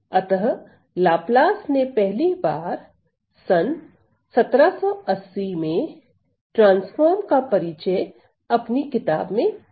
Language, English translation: Hindi, So, Laplace introduced the first mentioned of the transform was introduced by Laplace that was in 1780 in his book